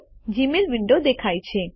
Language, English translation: Gujarati, The Gmail window appears